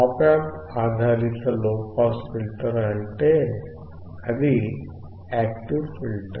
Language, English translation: Telugu, Op Amp based low pass filter means it is an active filter